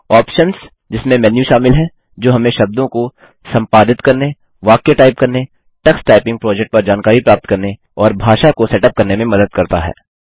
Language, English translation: Hindi, Options – Comprises menus that help us to edit words, learn to type phrases, get information on the tux typing project, and set up the language